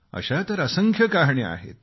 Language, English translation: Marathi, Stories like these are innumerable